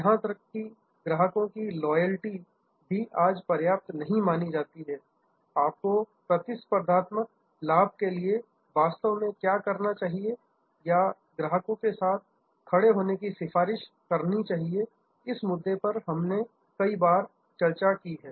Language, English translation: Hindi, Even customer loyalty is not good enough today, what you really need for competitive advantage or to stand out is customer advocacy, we have discussed this number of times